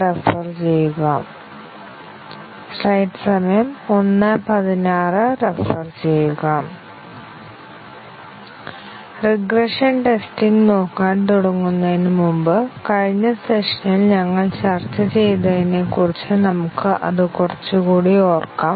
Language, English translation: Malayalam, Before we start looking at regression testing, let us recall it little bit, about what we were discussing in the last session